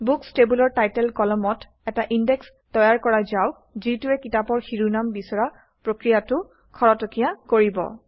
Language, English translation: Assamese, We will create an index on the Title column in the Books table that will speed up searching on book titles